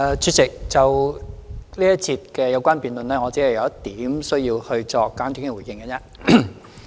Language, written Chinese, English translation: Cantonese, 主席，就這一節的有關辯論，我只有一點需要作簡短回應。, President concerning the debate in this session there is only one point to which I need to respond briefly